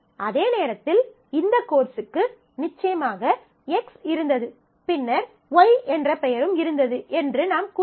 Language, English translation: Tamil, So, you are not saying that at the same time this course had them X this of course, also had name Y